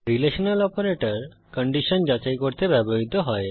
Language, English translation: Bengali, Relational operators are used to check for conditions